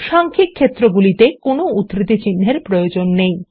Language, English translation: Bengali, NUMERIC fields need not be encased with any quotes